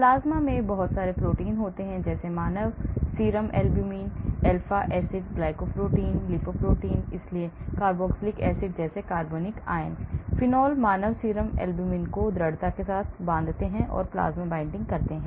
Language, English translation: Hindi, plasma binding; there are a lot of proteins in the plasma like human serum albumin, alpha acid glycoprotein, lipoprotein, so organic anions like carboxylic acids, phenols binds strongly to human serum albumin